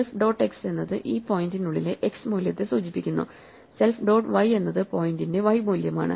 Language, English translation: Malayalam, So, self dot x refers to the x value within this point myself, self dot y is y value within myself